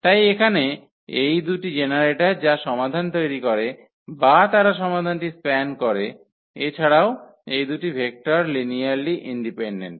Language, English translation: Bengali, So, here these are the two generators which generates the solution or the they span the solution, also these two vectors are linearly independent